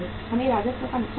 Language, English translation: Hindi, We will be losing the revenue